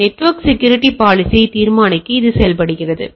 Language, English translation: Tamil, So, it works like that determine the network security policy